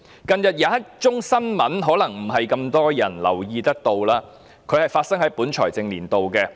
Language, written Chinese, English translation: Cantonese, 近日有一宗新聞可能未必有太多人留意，這宗案件發生於本財政年度。, Recently there is a piece of news which may have escaped the attention of many people and this incident took place in this financial year